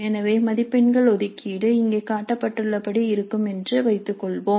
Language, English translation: Tamil, So the marks allocation let us assume is as shown here